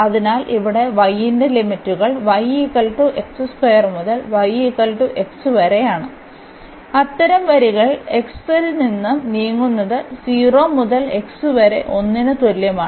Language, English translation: Malayalam, So, here the limits of y will be y is equal to x square to y is equal to x and such lines are moving from x is equal to 0 to x is equal to 1